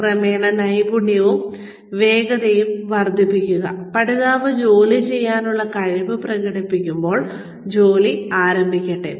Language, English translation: Malayalam, Gradually building up, skill and speed, as soon as, the learner demonstrates the ability to do the job, let the work begin